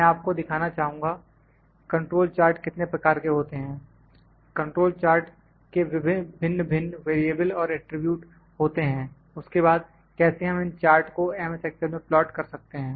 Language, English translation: Hindi, I will like to show you what are the kinds of control charts are there, the variables and attributes of different kinds of control charts are there, then how do we plot those charts in excel